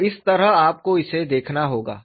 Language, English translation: Hindi, So that is the way you have to look at it